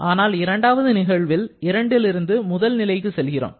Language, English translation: Tamil, Then, in the first case we have moved from 1 to 2